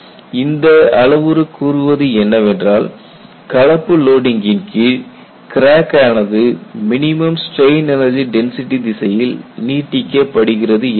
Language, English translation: Tamil, And this criterion says, crack under mixed loading will extend in the direction of minimum strain energy density